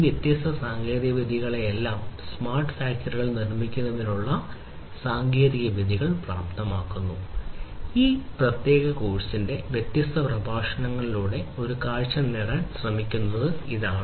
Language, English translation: Malayalam, So, all these different technologies the enabling technologies for building smart factories, this is what we are trying to get a glimpse of through the different lectures of this particular course